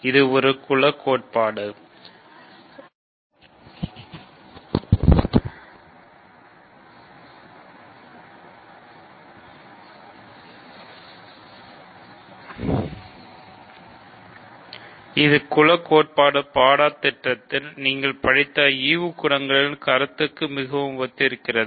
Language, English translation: Tamil, So, this is very similar to the notion of quotient groups that you have studied in group theory course